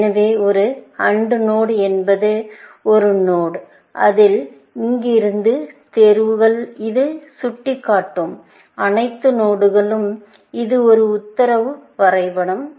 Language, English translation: Tamil, So, an AND node is a node from which, the choices, all the nodes that it points to; it is a directive graph